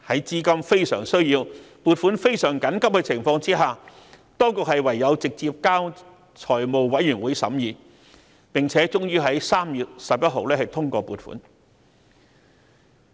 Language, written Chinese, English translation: Cantonese, 在亟需撥款的緊急情況下，當局唯有直接交由財委會審議，最後在3月11日通過撥款。, Given the urgent demand for funding the Administration had no choice but to submit the projects directly to FC for consideration . The funding was fnally approved on 11 March